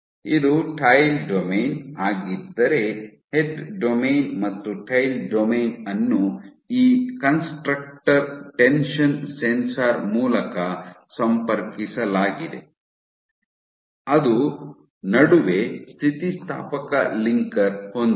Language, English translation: Kannada, So, if this is the tail domain head and tail domain is connected by this constructor tension sensor which has an elastic linker in between